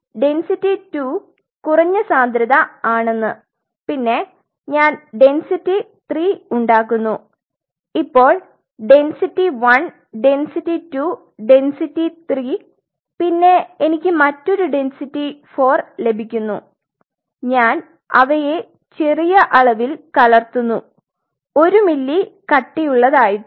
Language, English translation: Malayalam, So, it means density 2 what I am getting is lesser density then I make something density three now density 1 density 2 density 3 then I get another one density 4 and I am just mixing them small amount maybe one ml thick just 1 ml, 1